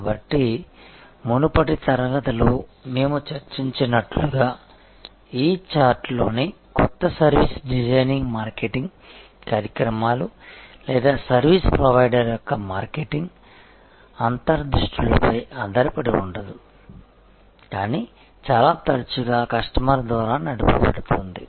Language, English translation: Telugu, So, new service design in this chart as we discussed in the previous class were based on not so much on marketing initiatives or marketing insights of the service provider, but very often driven by the customer